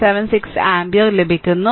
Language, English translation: Malayalam, 176 ampere things are easy